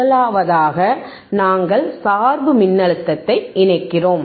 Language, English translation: Tamil, The first is, we are connecting the bias voltage